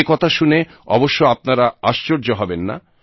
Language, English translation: Bengali, Of course, you will not be surprised at that